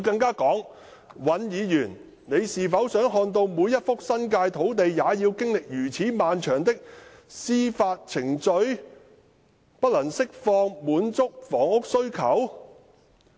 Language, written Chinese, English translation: Cantonese, 她表示："尹議員，你是否想看到每一幅新界的土地也要經歷如此漫長的司法程序，不能釋放，不能滿足香港市民的房屋需求？, She said Mr WAN do you want to see every site in the New Territories going through these prolonged court proceedings which means the sites cannot be released to cope with the housing demand of the people of Hong Kong?